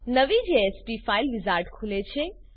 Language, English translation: Gujarati, The New JSP File wizard opens